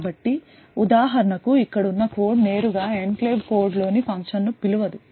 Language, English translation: Telugu, So, for example a code present over here cannot directly call a function present in the enclave code